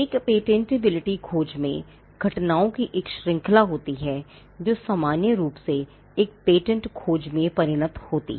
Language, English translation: Hindi, Now, in a patentability search, there are a series of events that normally happens which culminates into a patentability search